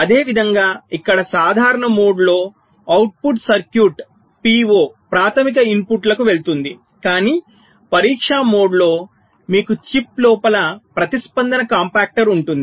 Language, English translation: Telugu, ok, similarly here, in the normal mode the output of the circuit will go to the p o, the primary inputs, but during the test mode you have something called a response compactor inside the chip